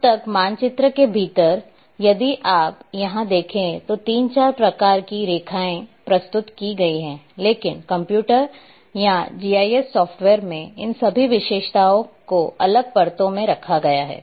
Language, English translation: Hindi, Now within a map if you are seeing here there are 3 4 types of line features are presented here, but in computer or in GIS software all these line features are kept in separate layers